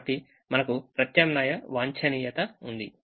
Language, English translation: Telugu, so we have alternate optimum